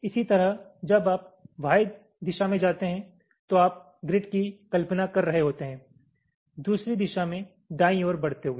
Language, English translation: Hindi, similarly, when you move in the y direction, you will be imagining grid like this moving in the other direction, right